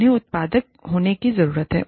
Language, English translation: Hindi, They need to be productive